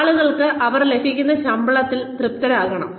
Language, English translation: Malayalam, People need to be satisfied with the salaries, that they are being paid